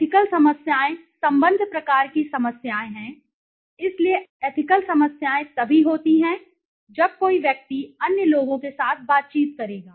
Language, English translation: Hindi, Ethical problems are relationship kinds of problems thus that is ethical problems occur only when an individual will interact with other people